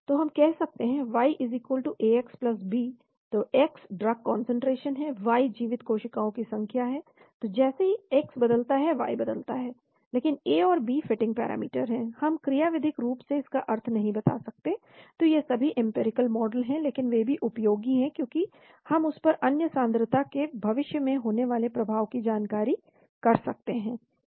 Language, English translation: Hindi, So we can say y=Ax+b, so x is the drug concentration, y is the number of live cells, so as x changes y changes, but A and B are fitting parameters, we cannot say mechanistically what it means , so that is all empirical models, but they are also useful because we can try to predict the future effect of other concentrations on that